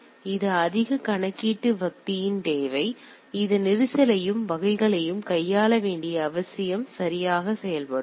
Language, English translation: Tamil, So, that is need of more computational power, need to handle this congestion and type of things will come into play right